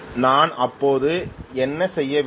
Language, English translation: Tamil, Then what should I do